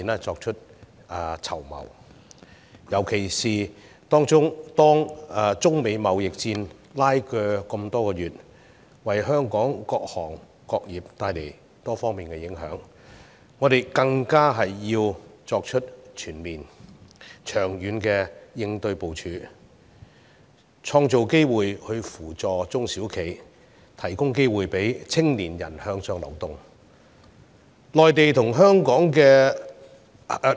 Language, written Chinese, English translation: Cantonese, 特別是中美貿易拉鋸多月，為香港各行各業帶來多方面的影響，我們更加要作出全面及長遠的應對部署，創造機遇扶助中小型企業，並提供機會讓青年人向上流動。, In particular after months of trade war between China and the United States all trades in Hong Kong are affected in different ways . A comprehensive and long - term plan is thus more important for creating opportunities to assist small and medium enterprises SMEs and providing upward mobility opportunities to young people